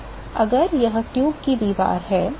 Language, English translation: Hindi, So, if this is the wall of the tube